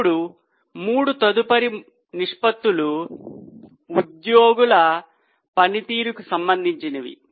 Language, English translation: Telugu, Now the next three ratios are related to performance of employees